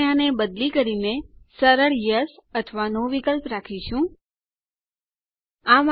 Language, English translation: Gujarati, We will change this to show a friendlier Yes or No option